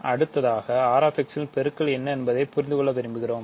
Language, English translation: Tamil, So, next we want to understand what is multiplication on R[x]